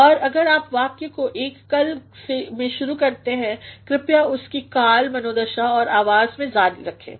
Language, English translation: Hindi, And if you start a sentence in one tense, please continue with the tense, mood and voice